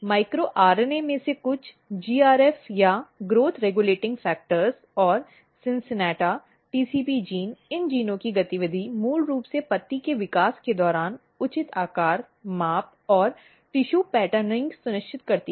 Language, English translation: Hindi, And you can see that some of the micro RNA some of the growth regulating factors GRF or the growth regulating factors and then you have CINCINNATA, TCP genes, the activity of these genes basically ensures proper shape, proper size, proper tissue patterning during leaf development